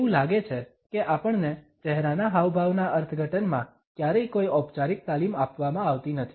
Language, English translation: Gujarati, It seems that we are never given any formal training in our interpretation of facial expressions